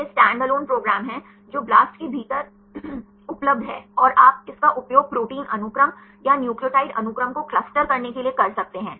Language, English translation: Hindi, This is the standalone program which is available within BLAST and you can use this to cluster either protein sequence or nucleotide sequence